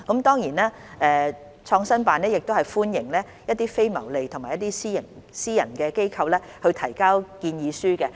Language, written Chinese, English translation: Cantonese, 當然，創新辦亦歡迎一些非牟利和私營機構提交建議書。, PICO certainly welcomes proposals from non - profit - making and private organizations